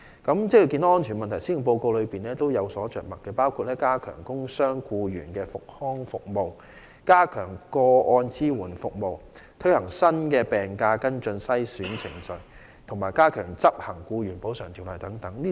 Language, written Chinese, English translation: Cantonese, 對於職安健的問題，施政報告也有着墨，包括加強工傷僱員的復康服務、加強個案支援服務、推行新的病假跟進及篩選程序，以及加強執行《僱員補償條例》等。, The Policy Address has likewise touched on occupational safety and health including enhancing rehabilitation services for workers injured at work and the Claims Support Services introducing new procedures for following up sick leave and case screening and strengthening the enforcement of the Employees Compensation Ordinance